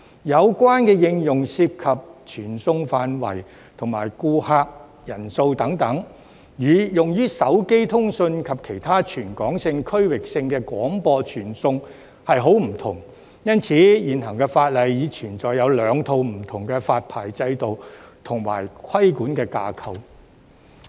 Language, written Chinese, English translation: Cantonese, 有關應用涉及傳送範圍和顧客人數等，與用於手機通訊及其他全港性、區域性的廣播傳送十分不同，因此現行法例已存在兩套不同的發牌制度和規管架構。, The application involves the scope of transmission and the number of customers and is very different from what is used in mobile phone communication and other territory - wide or regional broadcast transmissions . As such there are already two different licensing regimes and regulatory frameworks under the existing legislation